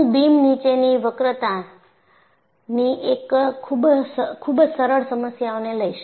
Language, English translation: Gujarati, And I will take up a very simple problem of beam and bending